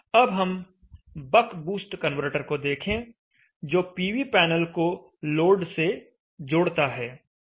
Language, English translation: Hindi, Let us now look at the bug boost converter interfacing the PV panel to the load